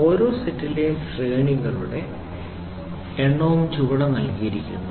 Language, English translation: Malayalam, The ranges are the ranges and the number of pieces in each set are given below